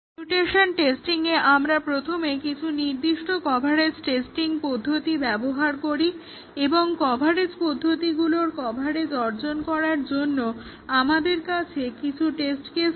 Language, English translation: Bengali, In mutation testing, first we use certain coverage testing techniques and we have some test cases to achieve coverage of some coverage technique